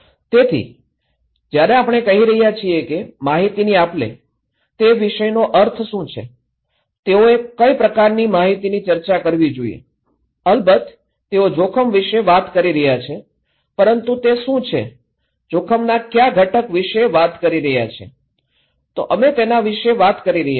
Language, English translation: Gujarati, So, when we are saying that the exchange of informations, what is the meaning of content of that, what kind of content they should discuss, of course, they are talking about risk but what is, what component of risk they are talking about, so that’s we are talking okay